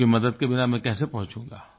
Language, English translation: Hindi, How will I reach without your help